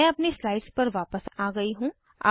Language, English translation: Hindi, I have returned to the slides